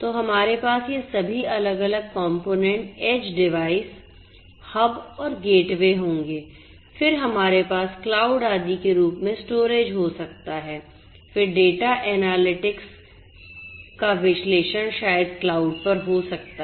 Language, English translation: Hindi, So, we will have all these different components you know age devices, you know then hubs and gateways, then we have storage maybe in the form of cloud etcetera, then analysis of the data analytics maybe at the cloud